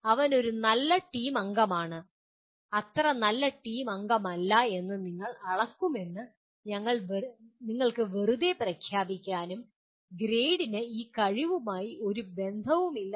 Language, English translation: Malayalam, You cannot just merely announce that we will measure, he is a good team member, not so good team member and forget about this the grade has nothing to do with this ability